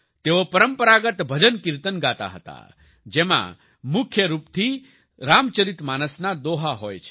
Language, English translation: Gujarati, They used to sing traditional bhajankirtans, mainly couplets from the Ramcharitmanas